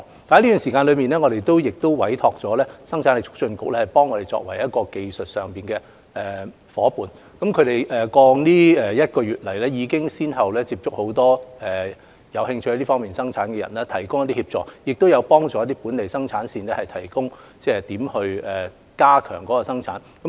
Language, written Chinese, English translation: Cantonese, 在這期間，我們委託了生產力促進局作技術上的夥伴，他們在過去一個月已先後接觸很多有興趣在這方面生產的人，並提供協助，亦曾協助一些本地生產線探討如何增加產量。, In the meantime we have commissioned the Hong Kong Productivity Council to be our technical partner . Over the past month the Council has successively approached many parties who are interested in face mask production and assistance has been provided . The Council has also helped some local production lines in exploring ways to increase production volume